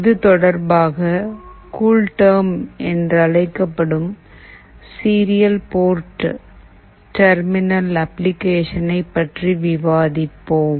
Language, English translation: Tamil, In this regard, we will be discussing about a Serial Port Terminal Application called CoolTerm